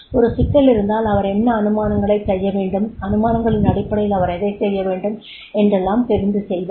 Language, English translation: Tamil, If there is a problem then what assumptions he are supposed to make and on basis of the assumptions he has to work on that